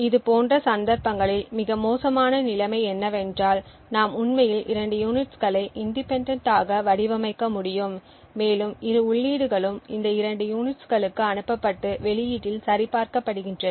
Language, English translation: Tamil, In such cases the worst case situation is where we could actually have two units possibly designed independently and both inputs are sent into both of these units and verified at the output